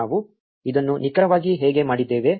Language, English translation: Kannada, This is exactly how we did it